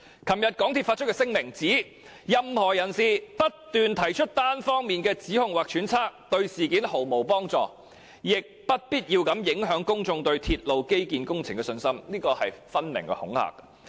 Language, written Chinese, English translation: Cantonese, 港鐵公司在該聲明表示，任何人士"只不斷提出單方面的指控或揣測，對事件毫無幫助，亦不必要地影響公眾對鐵路基建工程的信心"，這分明是恐嚇。, In that statement MTRCL says Just making one - sided allegations or speculations repeatedly will not help resolve the issue in any way but will unnecessarily undermine public confidence in railway infrastructure projects . This is downright intimidation